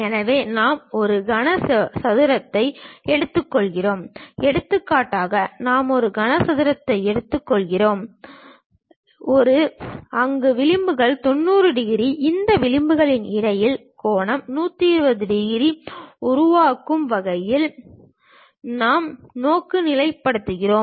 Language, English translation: Tamil, So, we take a cuboid, for example, we take a cuboid, where edges are 90 degrees; we orient in such a way that the angle between these edges makes 120 degrees